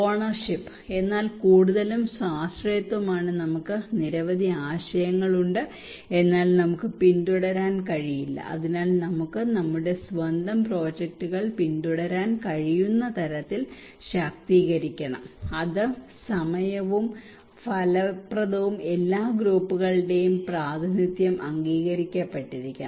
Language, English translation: Malayalam, Ownership; but most is the self reliance we have many ideas but we cannot pursue so we should be empowered so that we can follow our own projects, it should be also time effective and representation of all groups is agreed